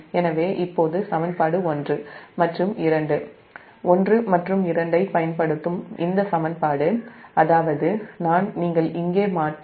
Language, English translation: Tamil, so now this equation, using equation one and two, one and two